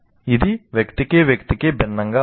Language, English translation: Telugu, Does it differ from person to person